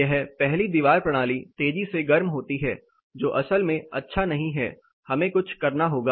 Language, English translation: Hindi, This wall system one heats up faster which is not really good so we have to do something